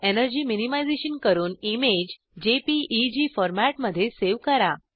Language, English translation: Marathi, # Do energy minimization and save the image in PDF format